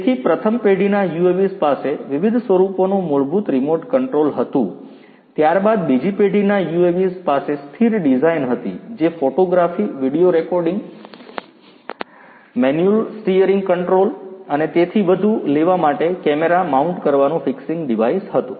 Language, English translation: Gujarati, So, first generation UAVs had fundamental remote control of different forms, then came the second generation UAVs which had a static design, a fixing device for camera mounting for taking still photography, video recording, manual steering control and so on